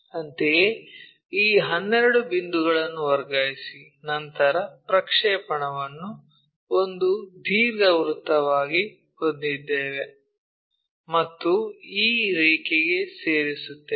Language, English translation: Kannada, Similarly, transfer these 12 points, then we will have the projected one as an ellipse and join this line